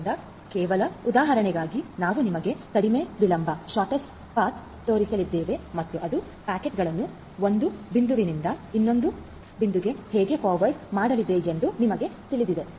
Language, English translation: Kannada, So, for just example sake we are going to show you the shortest delay path and you know how it is going to forward the packets from 1